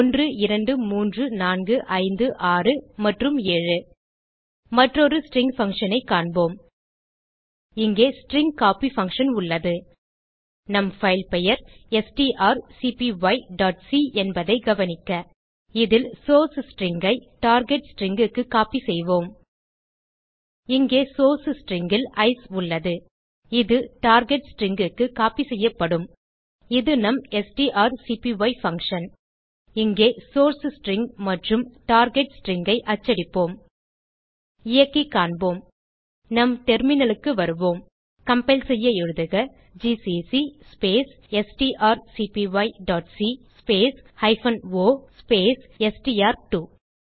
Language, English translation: Tamil, 1,2,3,4,5,6, and 7 Let us see another string function Here we have the string copy fuction Note that our filename is strcpy.c In this we will copy the source string into the target string Here we have Ice in the source string, it will be copied to the target string This is our strcpy function Here we will print the source string and the target string Let us execute and see Come back to our terminal To compile type gcc space strcpy.c space hyphen o space str2